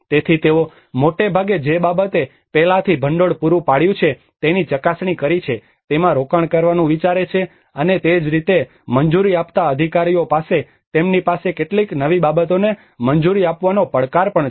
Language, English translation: Gujarati, So they mostly think of invest in what they have already tested what they have already funded before and similarly the approving authorities they also have a challenge in approving some new things